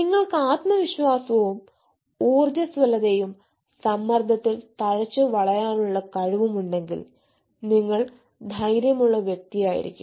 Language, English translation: Malayalam, and, yes, if you are confidence, resilient and having ability to thrive up in stress, then you will be a courageous person